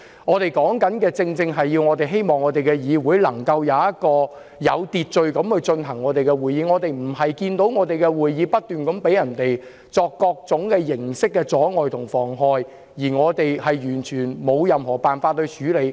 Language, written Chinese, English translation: Cantonese, 我們正正希望議會能有秩序地舉行會議，並不希望會議遭受各種形式的阻礙和妨害，而我們完全沒有任何辦法處理。, It is precisely our wish that the Council can hold meetings in good order . We do not hope that our meetings will be hindered or obstructed in various ways and we have no solution to deal with it at all